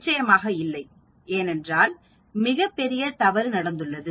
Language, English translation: Tamil, Definitely not, because there is a very big mistake which we have made